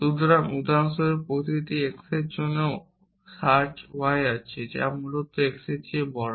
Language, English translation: Bengali, So, for example, for every x there exist search y which is greater than x essentially